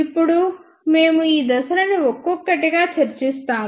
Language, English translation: Telugu, Now, we will discuss these phases one by one